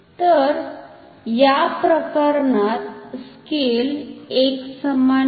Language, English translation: Marathi, So, in this case scale is non uniform